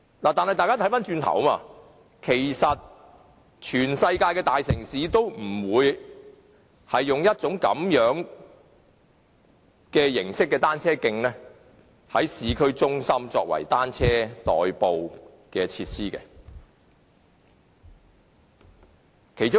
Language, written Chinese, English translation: Cantonese, 但是，大家可以看看，其實全世界的大城市都不會在市區採用這類單車徑作為以單車代步的設施。, However let us take a look at the world . Actually no big cities around the world will use this kind of cycle tracks as facilities for commuting by bicycles in the urban areas